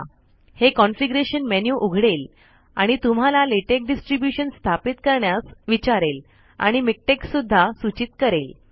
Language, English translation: Marathi, It will open a configuration menu and ask you to install a latex distribution and will also recommend miktex